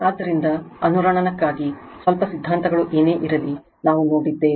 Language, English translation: Kannada, So, far what whatever little bit theories are there for resonance we have seen it